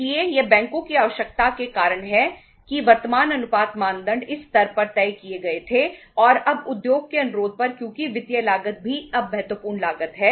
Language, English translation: Hindi, So it is because of the requirement of the banks the current ratios, uh norms, uh were fixed at this level and now on the request of the industry because the financial cost is also now the important cost